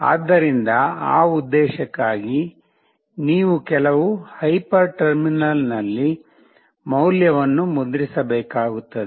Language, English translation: Kannada, So, for that purpose you need to print the value in some hyper terminal